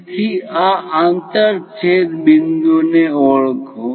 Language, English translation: Gujarati, So, identify these intersection points